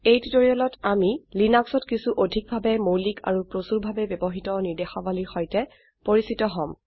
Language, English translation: Assamese, In this tutorial we will make ourselves acquainted with some of the most basic yet heavily used commands of Linux